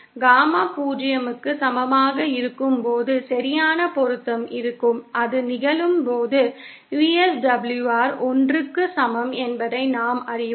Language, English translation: Tamil, We know that when Gamma is equal to 0, there is perfect matching and when that happens, VSWR is equal to 1